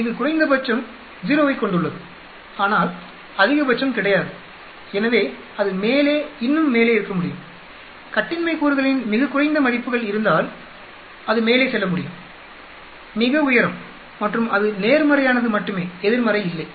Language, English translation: Tamil, It has a minimum of 0, but there is no maximum so it can be up and up, if very very low values of degrees of freedom it can go right up, very high and it is only positive there is no negative